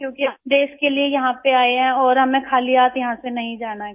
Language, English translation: Hindi, Because we have come here for the country and we do not want to leave empty handed